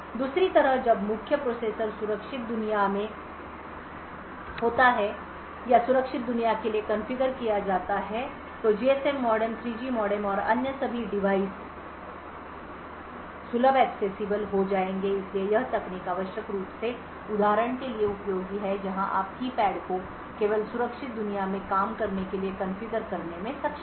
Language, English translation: Hindi, On the other hand when the main processor is in the secure world or configured for the secure world then the GSM modem the 3G modem and all other devices would become accessible so this technique is essentially useful for example where you are able to configure say the keypad to only work in the secure world